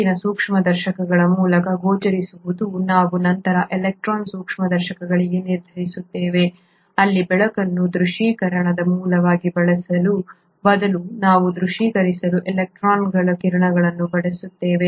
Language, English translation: Kannada, The ones which are not visible through light microscopes, we then resolve to electron microscopes,where, instead of using light as the source of visualisation we use a beam of electrons to visualize